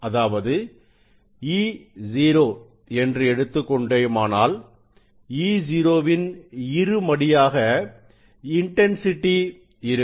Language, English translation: Tamil, that is if it is e 0; e 0 square will be the intensity of light